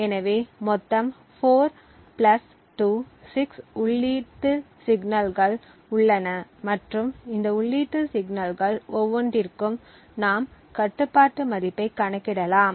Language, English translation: Tamil, So, there are a total of 4 plus 2 that is 6 input signals and for each of these input signals we can compute the control value